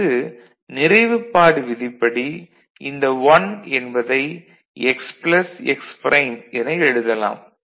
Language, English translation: Tamil, Then this 1 can be written as x plus x prime